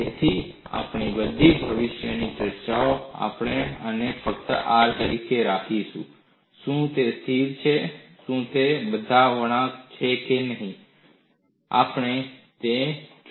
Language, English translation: Gujarati, So, in all our future discussions, we will simply keep this as R; whether it is constant, whether it is a curve all that, we look at it